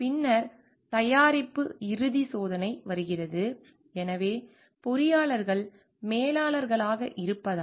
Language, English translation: Tamil, Then comes to the final test of the product; so, because engineers as managers